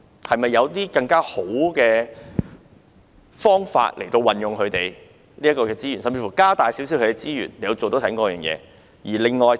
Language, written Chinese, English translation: Cantonese, 是否有更好的方法運用醫療輔助隊的資源，甚至增加其資源來做這方面的工作？, Are there better ways to utilize the resources of AMS or even provide additional resources for it to carry out work in this respect?